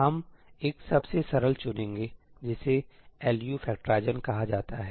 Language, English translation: Hindi, We will be picking the most simple one, which is called the LU factorization